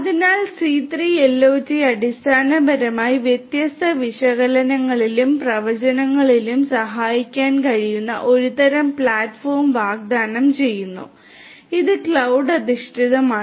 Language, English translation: Malayalam, So, C3 IoT basically offers some kind of a platform that can help in different analytics and prediction and it is cloud based